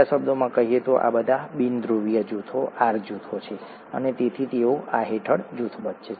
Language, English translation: Gujarati, In other words, all these are nonpolar groups, the R groups and therefore they are grouped under this